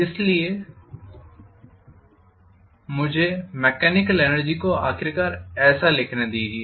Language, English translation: Hindi, So I should be able to write the mechanical energy finally as that is